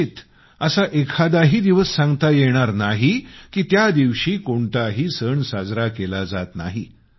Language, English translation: Marathi, There is hardly a day which does not have a festival ascribed to it